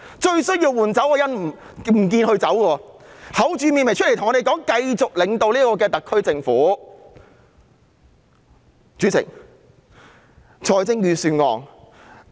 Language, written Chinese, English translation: Cantonese, 最需要換走的人不走，還厚着臉皮出來告訴我們她會繼續領導特區政府。, The very person who should have been replaced has stayed and she has even shamelessly come forward to tell us she will continue to lead the SAR Government